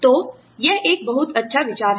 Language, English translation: Hindi, So, it is a very good idea